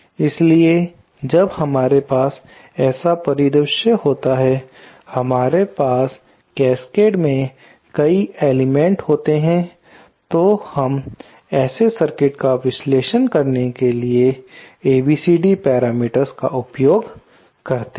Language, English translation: Hindi, So, when we have such a uh scenario where we have many elements in cascade, we do use the ABCD parameters to analyse such circuits